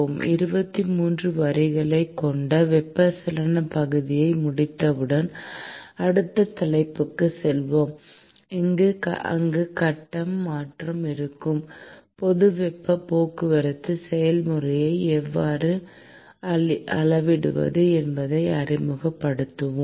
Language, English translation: Tamil, And once we finish the convection part, which is basically 23 lectures, we will move on to the next topic, where we would introduce how to quantify heat transport process when phase change is involved